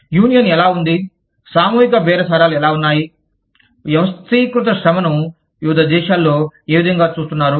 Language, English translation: Telugu, How is unionization, how is collective bargaining, how is organized labor, treated in different countries